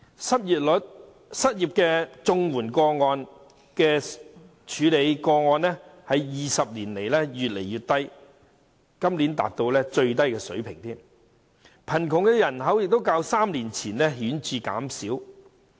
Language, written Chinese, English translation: Cantonese, 政府處理的失業綜援個案在20年間越來越少，今年更達到最低水平，而且貧窮人口亦較3年前顯著減少。, Over the past two decades the number of Comprehensive Social Security Assistance unemployment cases handled by the Government has been declining with this year being an all - time low . Moreover the poor population has shown a remarkable decline when compared with three years ago